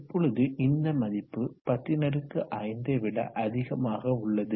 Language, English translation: Tamil, 105 and this value is between 1000 and 5